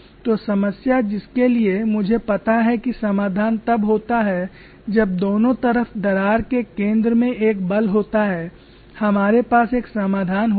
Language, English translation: Hindi, So the problem for which I know the solution is the force acting at the center of the crack on either side